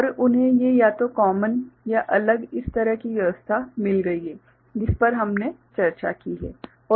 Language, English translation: Hindi, And they have got these either common or separate this kind of arrangement the one that we have just discussed ok